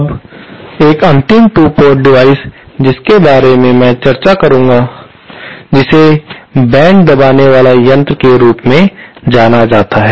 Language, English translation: Hindi, Now, one final 2 port device that I would like to discuss is what is known as mode suppressor